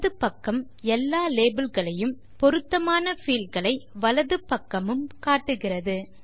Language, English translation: Tamil, It shows all the labels on the left and corresponding fields on the right